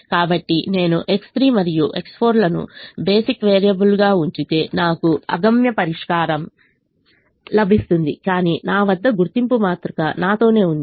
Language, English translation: Telugu, so if i keep x three and x four as basic variables, i will get an infeasible solution, but the identity matrix i have with me